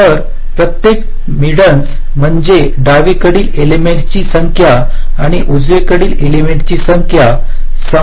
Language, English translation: Marathi, median means the number of elements to the left and the number of elements to the right must be equal